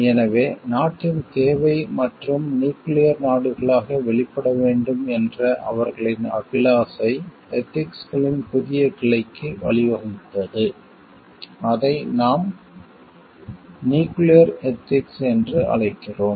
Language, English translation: Tamil, So, the need for the country and, their aspiration to emerge as nuclear states has led to a newer branch of ethics, which we call as nuclear ethics